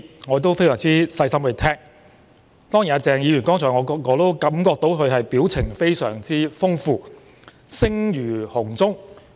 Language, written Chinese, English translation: Cantonese, 我非常細心聆聽他發表的一些意見，也感覺到鄭議員剛才的表情非常豐富、聲如洪鐘。, I have listened very carefully to the opinions expressed by Dr CHENG and found that he was very expressive with his face and spoke as loudly as a trumpet just now